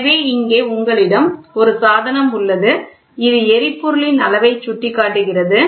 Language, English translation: Tamil, So, in here you have a device which is which is showing the fuel indicator, ok